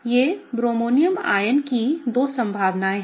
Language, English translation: Hindi, These are the two possibilities of the bromonium ion, okay